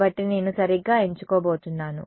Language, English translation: Telugu, So, I am going to choose right